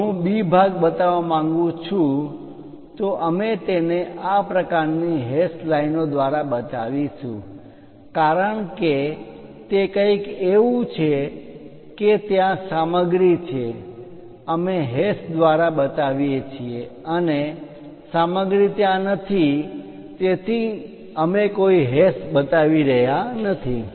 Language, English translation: Gujarati, If I want to show B part, we show it by this kind of hashes because it is something like material is available there, we are showing by hash and material is not there so, we are not showing any hash